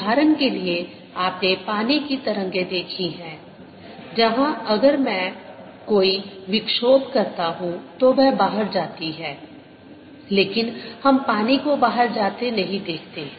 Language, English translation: Hindi, for example, you have seen water waves where, if i make disturbance, the travels out, but we don't see water going out